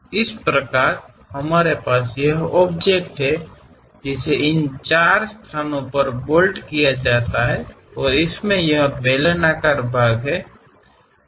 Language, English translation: Hindi, Similarly, we have this object, which can be bolted at this four locations and it has this cylindrical portion